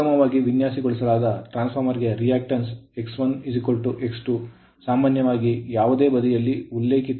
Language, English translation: Kannada, For a well designed transformers generally reactance is X 1 is equal to X 2 referred to any side right